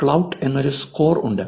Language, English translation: Malayalam, There is a score called Klout